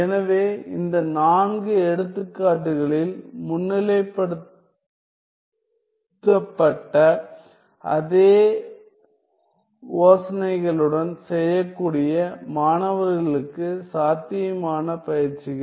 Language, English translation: Tamil, So, possible exercises for the students that can be done along the same ideas that has been highlighted in this in these four examples